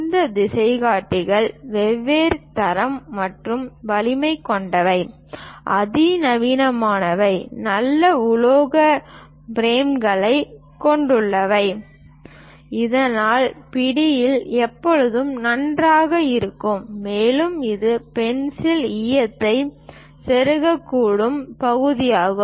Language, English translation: Tamil, This compasses are of different quality and also strength; the sophisticated ones have nice metallic frames so that the grip always be good, and this is the part where pencil lead can be inserted